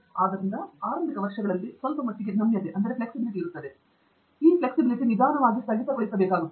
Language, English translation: Kannada, So there is a quite a bit of flexibility in the initial years, which has to slowly freeze